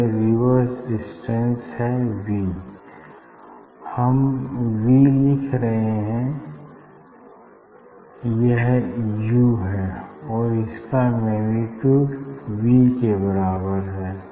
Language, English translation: Hindi, it will just reversed this distance will be v, we are writing v, but it is actually u, but in magnitude vise this equal to this v